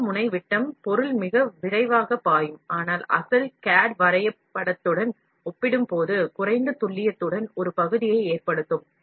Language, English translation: Tamil, The large nozzle diameter will enable material to flow more rapidly, but would result in a part with low precision compared with the original CAD drawing